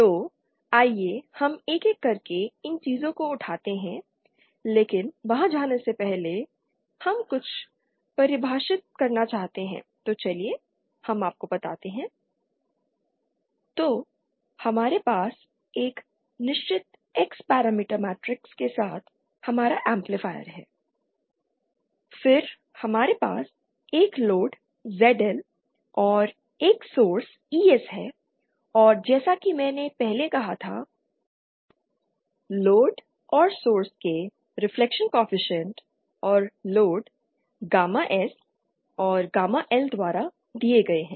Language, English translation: Hindi, So let us let us take up these things one by one but before going there we would like to define some of the, so let us let us see… So we have our amplifier with a certain X parameter matrix then we have a load ZL and a source ES and as I said earlier the reflection co efficient of the load and of the source and the load are given by gamma S and gamma L respectively